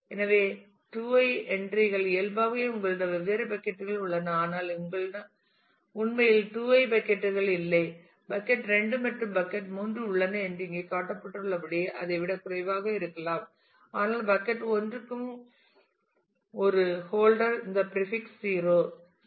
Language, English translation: Tamil, So, there will be 2 to the power i entries naturally you have different buckets here, but you may not actually have all 2 to the power i buckets you may have less than that as it is shown here that bucket 2 and bucket 3 exist, but bucket 1 is a holder for both this prefix 0 0 as well as prefix 0 1